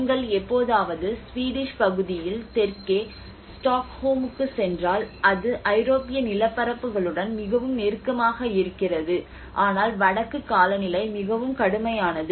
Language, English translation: Tamil, If you ever go to Stockholm up south in the Swedish part, it is much more closer to the European landscapes, but the northern climates are much harsher